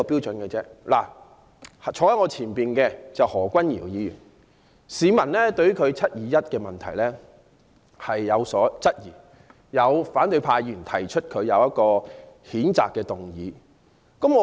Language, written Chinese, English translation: Cantonese, 例如，坐在我前方的何君堯議員，被市民質疑他在"七二一"事件中的角色，於是有反對派議員對他提出譴責議案。, For example with regard to Dr Junius HO who is sitting in front of me some members of the public have queried the role he played in the 21 July incident and a motion has thus been proposed by certain Members of the opposition camp to censure him